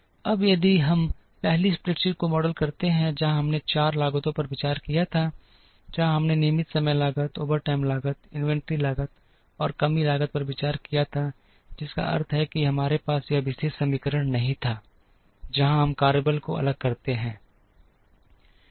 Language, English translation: Hindi, Now, if we where to model the first spreadsheet, where we considered only 4 costs, where we considered regular time cost, overtime cost, inventory cost, and shortage cost, which means we did not have this particular equation, where we varied the workforce